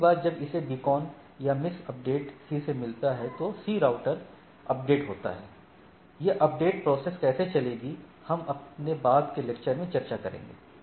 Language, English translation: Hindi, So, next time it gets the beacon or the miss update from the C, C is router update then, it updates it with the things